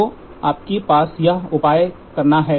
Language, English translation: Hindi, So, all you have to do is measure this